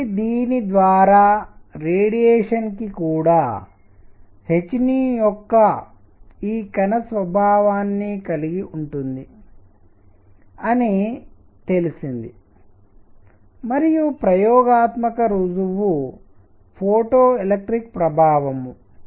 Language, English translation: Telugu, So, this is this is what what gave the idea of radiation; also having this particle nature of h nu and experimental evidence was photoelectric effect